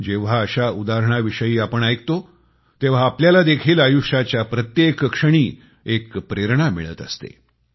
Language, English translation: Marathi, When we come to know of such examples, we too feel inspired every moment of our life